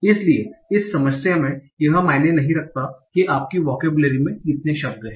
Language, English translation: Hindi, So in this problem, it does not matter how many words are there in your vocabulary